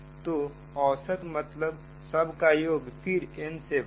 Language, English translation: Hindi, so average means sum all divided by n